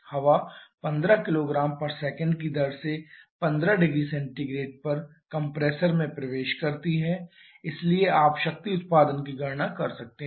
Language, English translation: Hindi, Air enters the compressor at 15 degree Celsius at a rate of 15 kg per second so if you calculate the power output